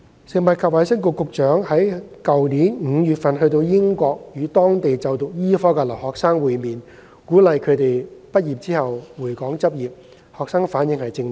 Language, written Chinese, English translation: Cantonese, 食物及衞生局局長於去年5月到英國與當地就讀醫科的留學生會面，鼓勵他們畢業後回港執業，學生反應正面。, The Secretary for Food and Health went to the United Kingdom in May last year to meet with Hong Kong students studying medicine there and encourage them to return to Hong Kong to practise after graduation . Their responses were positive